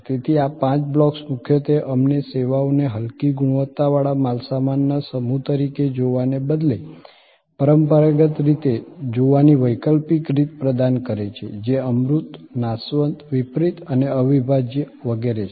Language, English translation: Gujarati, So, these five blocks mainly provide us an alternative way of looking at services rather than looking at it in a traditional way as a set of inferior class of goods, which are intangible and perishable and heterogeneity and inseparable, etc